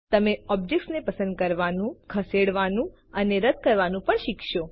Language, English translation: Gujarati, You will also learn how to:Select, move and delete an object